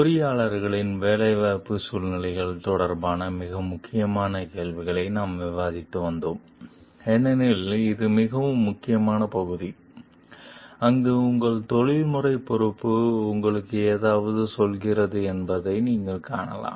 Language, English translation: Tamil, We were discussing the very critical questions regarding employment situations of engineers, because this is a very critical area, where you find your professional responsibility is telling you something